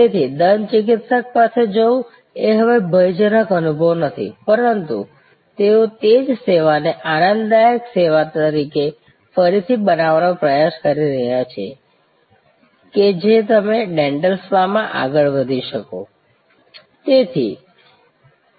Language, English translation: Gujarati, So, going to the dentist is no longer a fearful experience, but they are trying to recreate that same service as a pleasurable service that you can go forward to the dental spa